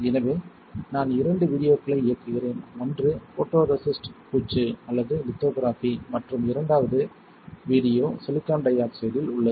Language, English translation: Tamil, So, let me play two videos one is a on the photoresist coating or lithography and the second video is on the silicon dioxide